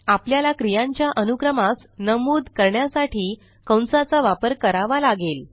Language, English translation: Marathi, So we have to use Brackets to state the order of operation